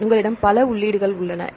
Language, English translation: Tamil, So, if you have there are several entries